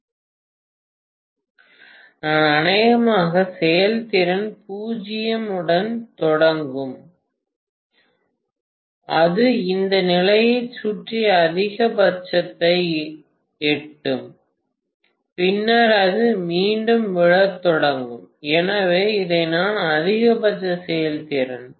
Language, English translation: Tamil, So I am going to have probably the efficiency will start with 0 and it will reach maximum around this condition and then it will start falling again, so this is what is the maximum efficiency